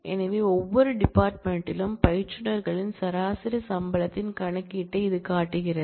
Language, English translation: Tamil, So, this is showing you the computation of average salary of instructors in each department